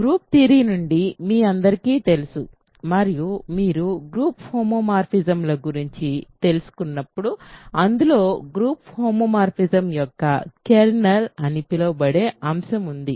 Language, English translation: Telugu, So, you all know from group theory and when you learned about group homomorphisms there is something called kernel of a group homomorphism